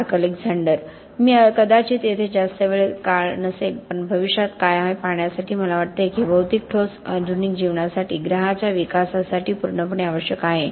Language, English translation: Marathi, Mark Alexander: I may not be here for that much long but to see what the future holds that I think that this material concrete is just absolutely essential to modern life, to development of the planet